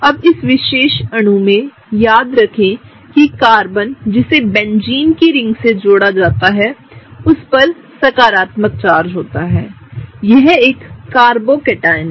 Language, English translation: Hindi, Now, remember in this particular molecule the Carbon that is bonded to the Benzene ring is positively charged, it is a carbocation